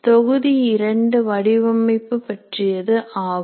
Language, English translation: Tamil, Module 2 is related to course design